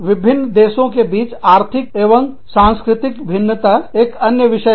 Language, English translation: Hindi, Major economic and cultural differences, among different countries, is another issue